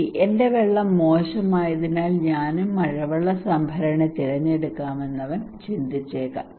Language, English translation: Malayalam, He may think that okay, my water is bad so I should also opt for rainwater harvesting